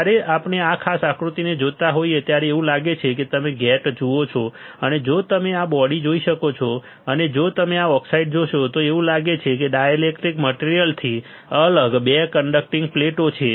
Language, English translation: Gujarati, It looks like when we when we see this particular figure this one, it looks like if you see gate right and if you see this body, and if you see this oxide looks like there is 2 conducting plates separated by a dielectric material